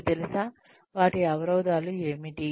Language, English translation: Telugu, You know, what are their constraints